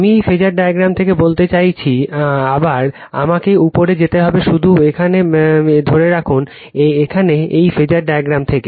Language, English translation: Bengali, I mean from this phasor diagram, again I have to go on top right just hold on here, here from this phasor diagram